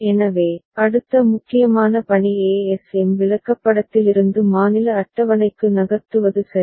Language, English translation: Tamil, So, next important task is to move to state table from ASM chart ok